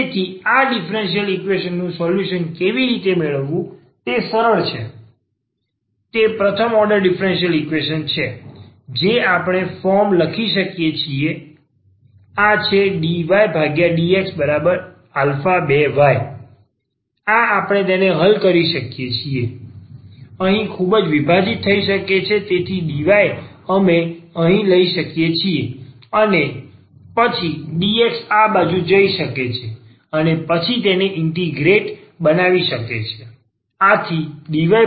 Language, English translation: Gujarati, So, how to get the solution of this differential equation that is easy it is a first order differential equation we can write down this form this is dy over dx and minus is alpha 2 y is equal to alpha 2 y because this was minus alpha 2 y, so we taken the right side and this we can solve it is a very separable here so dy in we can take y here and then dx can go to this side and then make it integrate